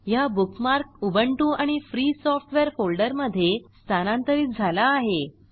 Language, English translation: Marathi, The bookmark is moved to the Ubuntu and Free Software folder